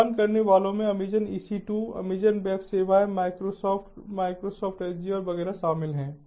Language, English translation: Hindi, the paid ones include amazon, ec, two amazon web services, microsoft ah, microsoft azure and so on